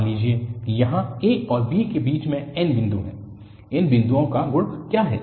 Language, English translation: Hindi, Suppose there are n points between a and b, what is the property of these points